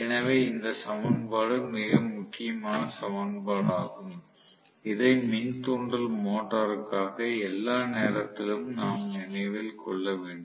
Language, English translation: Tamil, So, this equation is a very, very important equation which we should remember all the time for the induction motor